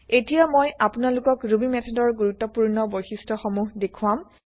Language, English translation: Assamese, Now I will show you one important feature of Ruby method